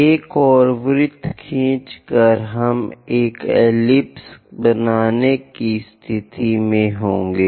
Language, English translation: Hindi, By drawing one more circle, we will be in a position to construct an ellipse